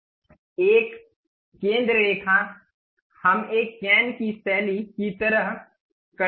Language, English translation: Hindi, A centre line, we would like to have a cane style kind of thing